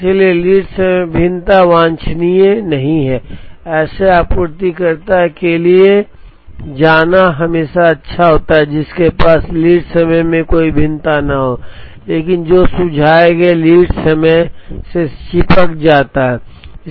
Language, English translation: Hindi, So, variation in lead time is not desirable it is always good to go for a supplier who has no variation in lead time but, who can stick to the suggested lead time